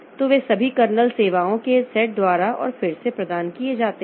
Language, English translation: Hindi, So, they are all provided by and again by a set of kernel services